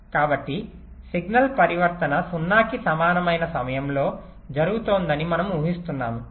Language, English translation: Telugu, so we are assuming that at a the signal transition is taking place exactly at time